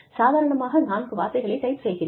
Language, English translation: Tamil, I type in four key words